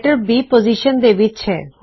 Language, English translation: Punjabi, Letter B is in position 2